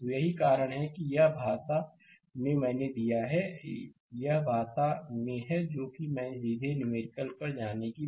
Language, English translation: Hindi, So, that is why, this is in language I have given this is in language I have given rather than going to the numerical directly